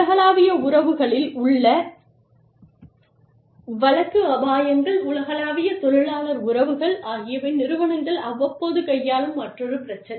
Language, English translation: Tamil, Litigation risks in global relations, global labor relations, are another issue, that organizations deal with, from time to time